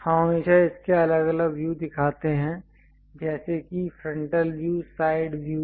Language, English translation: Hindi, We always show its different views like frontal view and side views